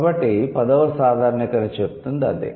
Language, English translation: Telugu, So, that's about tenth generalization